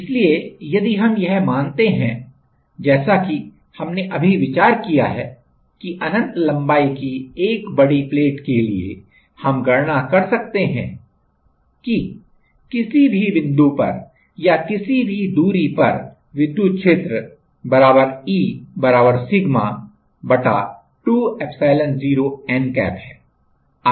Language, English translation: Hindi, So, if we consider as we just know discuss that for infinitely long a large plate, we can consider we can we calculated that that electric field at any point or at any distance is electric field = E = sigma / 2 epsilon0 n cap